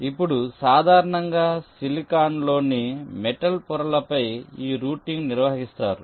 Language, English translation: Telugu, now, usually this routing is carried out on the metal layers in silicon